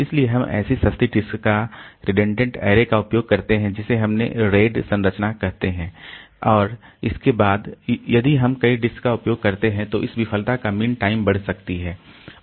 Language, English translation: Hindi, So, we use a redundant array of such inexpensive disk with the configuration we called array ID structure and then this if we use many disk then the mean time to failure can increase